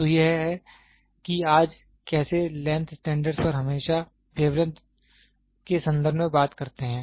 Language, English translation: Hindi, So, that is how the length standards today we always talk in terms of wavelength